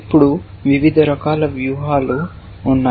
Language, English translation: Telugu, Now, there are different kinds of strategies